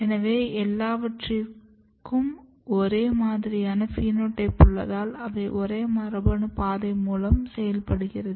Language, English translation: Tamil, So, all are having similar phenotype which suggest that all of these might be working through the same pathway same genetic pathway